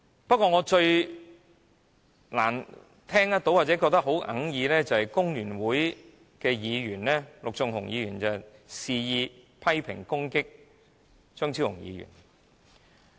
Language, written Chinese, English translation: Cantonese, 不過，我最難接受的是工聯會的陸頌雄議員肆意批評和攻擊張超雄議員。, Yet what I find most unacceptable is that Mr LUK Chung - hung from FTU criticized and attacked Dr Fernando CHEUNG recklessly